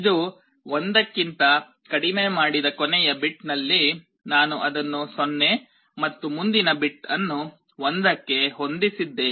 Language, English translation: Kannada, If it is less than, in the last bit which I had made 1, I make it 0 and the next bit I set to 1